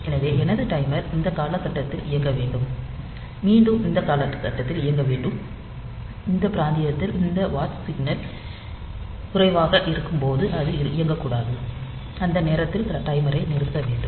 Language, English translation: Tamil, So, I my timer should run in this period and again it should run at this period, and when this watch signal is low in this region, it should not run, fine the timer should be stopped in in that time